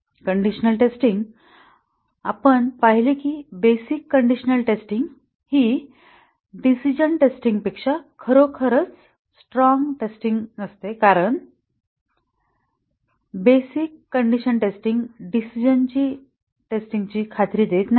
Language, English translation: Marathi, Let us look at that and the conditional testing we saw that the basic conditional testing is not really a stronger testing than decision testing because the basic condition testing does not ensure decision testing